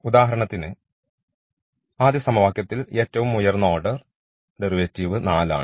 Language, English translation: Malayalam, So, for example, in this first equation the highest order derivative is 4